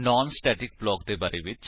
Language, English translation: Punjabi, When is a non static block executed